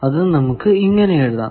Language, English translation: Malayalam, Now, that is written by this formula